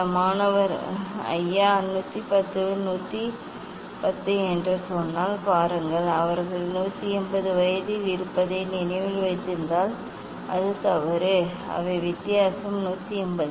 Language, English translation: Tamil, See if some student tells sir it is 110 210 it is wrong if you remember that they are at 180, they are difference is 180